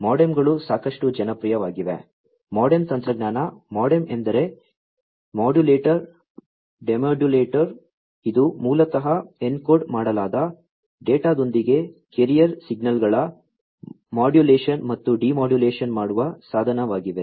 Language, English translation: Kannada, MODEMs are quite popular, MODEM technology, MODEM stands for Modulator Demodulator, which is basically a device that will do modulation and demodulation of carrier signals, with the encoded data